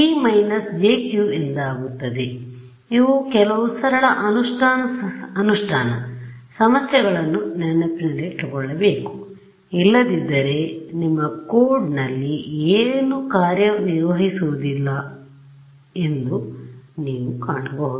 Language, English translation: Kannada, So, these are some of the very simple implementation issue you should keep in mind otherwise you will find that nothing works in your code all right